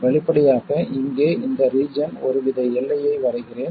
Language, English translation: Tamil, Obviously this part here let me draw some sort of a boundary